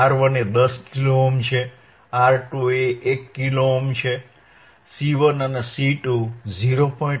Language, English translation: Gujarati, right R 1 is 10 Kilo Ohm, R 2 is 1 Kilo Ohm, C 1 and C 2 are 0